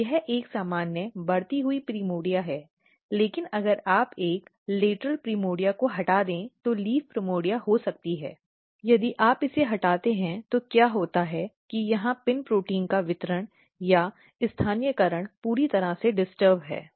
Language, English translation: Hindi, Whereas, if when this is a normal growing primordia, but if you remove one lateral primordia which could be leaf primordia if you just remove it what is happening that distribution or localization of PIN protein is totally disturbed here